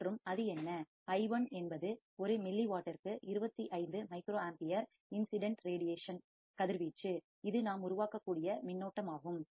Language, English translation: Tamil, And what is that, i1 is 25 microampere per milliwatt of incident radiation, this much is the current that we can generate